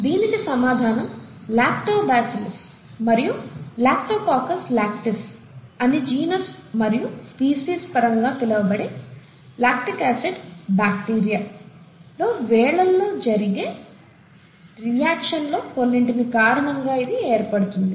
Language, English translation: Telugu, The answer is, from some among the thousands of reactions that occur inside what is called the lactic acid bacteria, in the terms of genus and species, it’s called Lactobacillus, Lactococcus Lactis